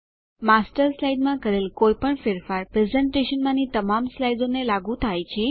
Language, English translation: Gujarati, Any change made to the Master slide is applied to all the slides in the presentation